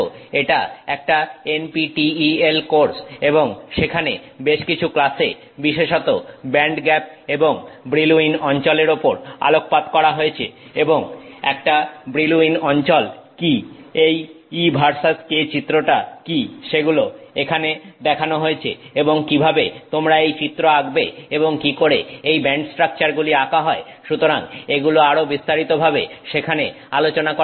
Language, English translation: Bengali, It is an NPTEL course and there are a few classes specifically focused on band gaps and, you know, Brill Wan zones and what is the Brill Wan zone, what is this E versus K diagram that is shown here and how you can know draw this diagram and how these band structures are drawn